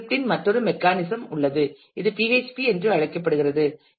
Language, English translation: Tamil, There is another mechanism of scripting which is also very popular called PHP